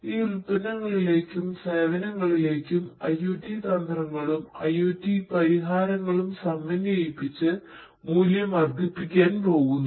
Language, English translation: Malayalam, We want to add value by integrating IoT strategies, IoT solutions to these products and services